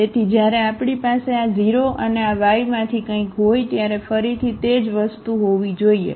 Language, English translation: Gujarati, So, again the same thing should hold when we have this 0 and something from this Y